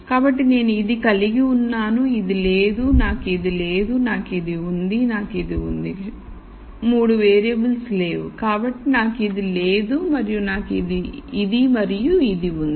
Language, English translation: Telugu, So, let us say I have this I do not have this, I do not have this, I have this, I have this, sorry 3 variables are missing, so, I do not have this and I have this and this